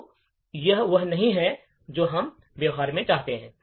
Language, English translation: Hindi, So, this is not what we want in practice